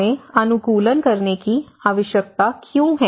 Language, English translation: Hindi, See, why do we need to adapt